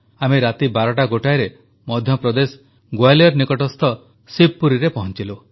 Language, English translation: Odia, Past midnight, around 12 or 1, we reached Shivpuri, near Gwalior in Madhya Pradesh